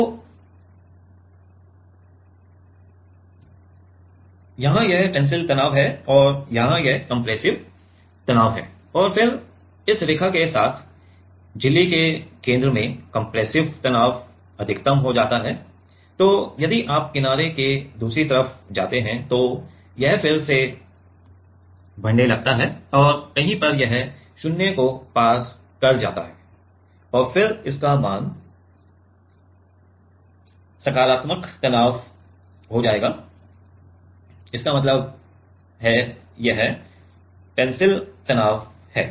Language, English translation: Hindi, So, here it is tensile stress and here it is compressive stress and then compressive stress becomes become maximum at the center of the along this line at the center of the membrane then if you move towards the another the other side of the edge then it is it again starts increasing and somewhere it crosses 0, and then it will again have positive stress value; that means, it is tensile stress